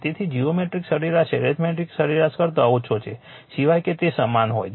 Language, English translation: Gujarati, So, geometric mean is less than the arithmetic mean except they are equal